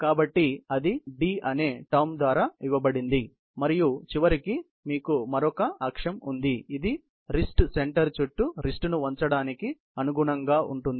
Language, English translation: Telugu, So, that is given by the term D and then finally, you have another axis, which corresponds to bending of the wrist around the wrist center